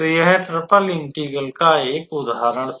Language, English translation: Hindi, So, this was one such example of triple integral